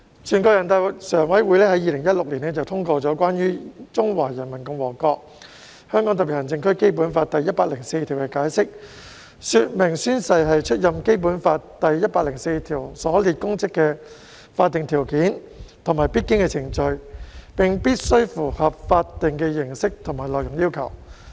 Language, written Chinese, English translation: Cantonese, 全國人民代表大會常務委員會在2016年通過《關於〈中華人民共和國香港特別行政區基本法〉第一百零四條的解釋》，說明宣誓是出任《基本法》第一百零四條所列公職的法定條件和必經程序，並必須符合法定的形式和內容要求。, The Standing Committee of the National Peoples Congress endorsed the Interpretation of Article 104 of the Basic Law of the Hong Kong Special Administrative Region of the Peoples Republic of China in 2016 which explains that oath - taking is the legal prerequisite and required procedure for public officers specified in Article 104 of the Basic Law to assume office and must comply with the legal requirements in respect of its form and content